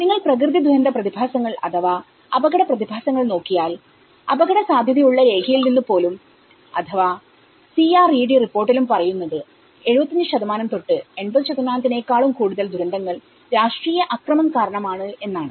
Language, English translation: Malayalam, When you look at the natural disasters phenomenon or the risk phenomenon, even from the document of at risk or the CRED reports, it says almost more than 75% to 80% of the disasters are through the political violence